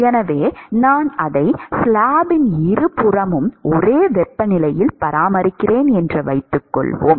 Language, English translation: Tamil, So, supposing if I maintain it at same temperature on both sides of the slab